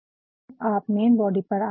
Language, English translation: Hindi, Then, we come to the main body